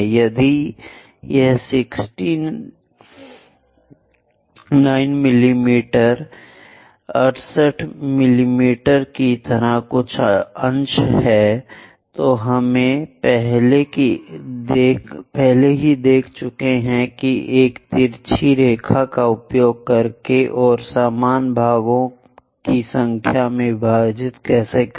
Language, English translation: Hindi, If it is fraction something like 69 mm 68 mm we have already seen how to divide into number of equal parts by using this inclined line and constructing it